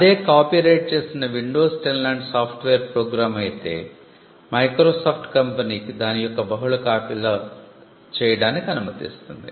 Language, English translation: Telugu, If it is a copyrighted software program say Windows 10, it allows Microsoft to make multiple copies of it